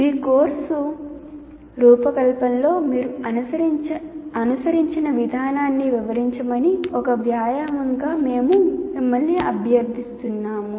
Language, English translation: Telugu, And as an exercise, we request you to describe the process you follow in designing your course, whatever you are following